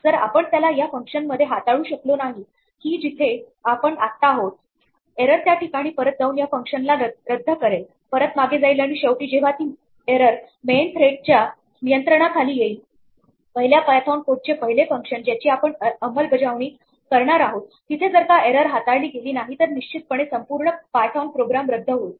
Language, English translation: Marathi, If we do not handle it in the function where we are right now, the error goes back this function aborts it goes back and finally, when it reaches the main thread of control the first function of the first python code, that we are executing there if we do not handle it then definitely the overall python program aborts